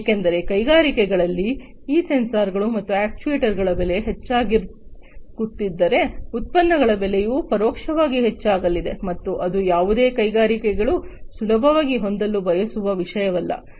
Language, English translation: Kannada, Because if the cost of these sensors and actuators in the industries are going to be higher, then the cost of the products are also indirectly going to be increased and that is not something that any of the industries would readily want to have